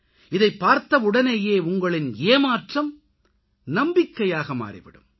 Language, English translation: Tamil, Just on seeing these pictures, your disappointment will transform into hope